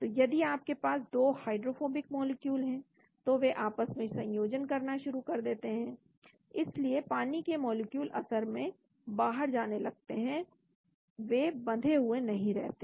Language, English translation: Hindi, so if you have a 2 hydrophobic molecules they start associating with each other so water molecules gets moved out actually , they are not trapped